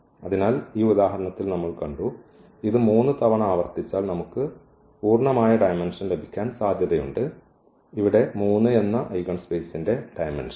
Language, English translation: Malayalam, So, we have seen in this example that, if it is repeated 3 times it is also possible that we can get the full dimension, here the dimension of the eigenspace that is 3